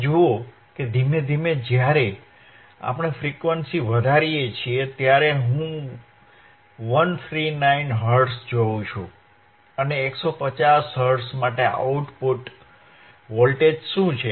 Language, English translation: Gujarati, and y You see that slowly when we increase the frequency, I see 139 Hertz, stop it here 150 Hertz and for 150 Hertz, what is output voltage output voltage